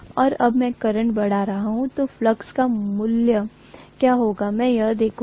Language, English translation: Hindi, And I am going to look at what is the value of flux I am getting as I increase the current